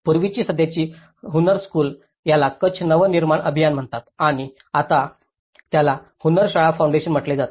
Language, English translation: Marathi, Earlier, the present Hunnarshala, itís called Kutch Nava Nirman Abhiyan and now it is called Hunnarshala Foundation